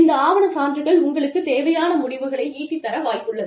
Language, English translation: Tamil, Of course, documentary evidences supporting is, likely to get you the results, that you need